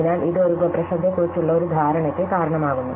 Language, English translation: Malayalam, So, this gives raise to a notion of a sub problem